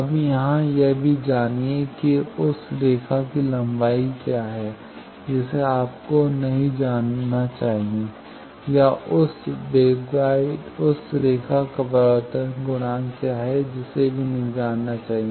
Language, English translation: Hindi, Now here also what is the line length you need not know or what is the propagation constant of that line that also need not know